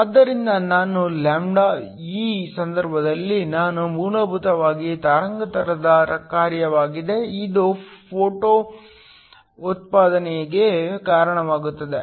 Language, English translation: Kannada, So, I(λ), in this case I is essentially a function of the wavelength, this causes photo generation